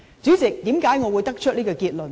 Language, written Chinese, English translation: Cantonese, 主席，為何我會得出這結論呢？, President why did I draw such a conclusion?